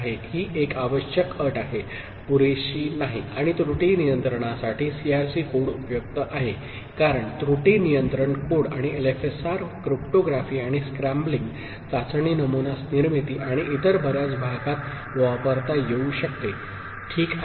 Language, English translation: Marathi, This is a necessary condition, not sufficient and CRC code is useful for error control, as error control code and LFSR can be used in cryptography and scrambling, test pattern generation and many other areas, ok